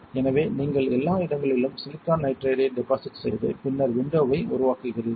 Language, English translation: Tamil, So, you would, you deposit silicon nitride everywhere and then create window